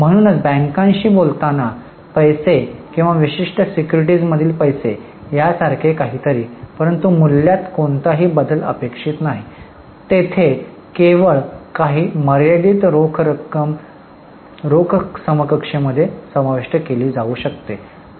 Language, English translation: Marathi, So, something like money at call with banks or money in certain securities but no change of value is expected there, only few restricted securities can be included in cash equivalent